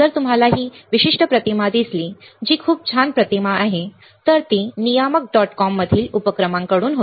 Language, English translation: Marathi, If you see this particular images which is very nice image, it was from enterprises in the regulators dot com